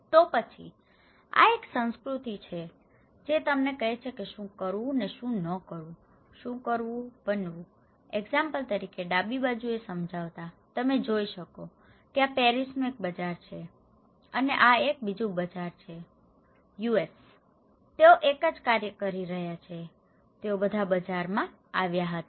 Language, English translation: Gujarati, Then, this is a culture that tells you what to do and what not to do, doing, being, explaining like for example in the left hand side, you can see that this is a market in Paris, okay and this is another market in US, they are doing the same thing, they all came in a market